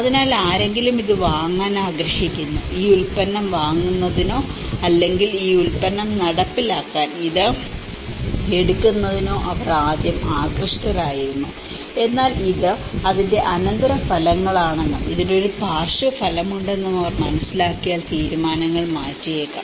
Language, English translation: Malayalam, So, someone wants to buy this, they were initially very fascinated to buy this product or to take this to implement this product but then they learn that this is the after effects of it, there is a side effects of it and that is what they might change the decisions